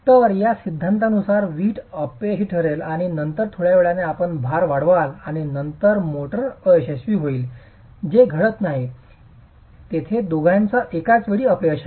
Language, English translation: Marathi, So according to this theory, brick will fail and then after some time you increase the load and then the motor will fail, which does not happen